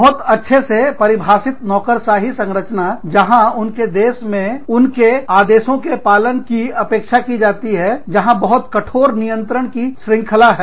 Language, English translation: Hindi, In a very well defined bureaucratic structure, where they are expected, to follow orders, where there is, very strict chain of command